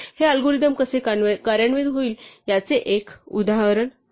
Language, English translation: Marathi, This is an example of how this algorithm would execute